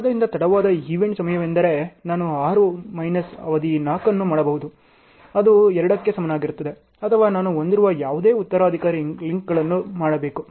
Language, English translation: Kannada, So, late event time is, either I should do 6 minus duration 4 which is equal to 2 or any successor links which I am having